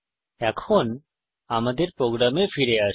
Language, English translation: Bengali, Now let us come back to our program